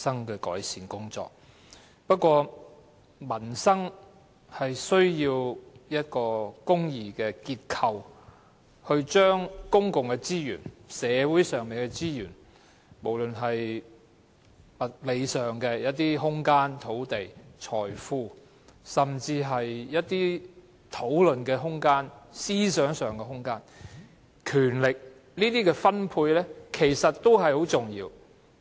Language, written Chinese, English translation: Cantonese, 然而，民生需要一個公義的結構來分配公共資源、社會上的資源，不論是物理上的空間、土地、財富，還是一些討論空間、思想空間、權力，這些也很重要。, However to improve peoples livelihood we need to have fair frameworks for distribution of public resources and resources in society be they physical space land and wealth as well as room for discussion and thinking and power . These are all important